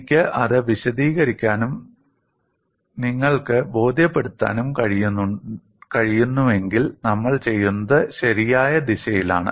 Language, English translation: Malayalam, If I am able to explain that and you will get convinced, then what we are doing is the right direction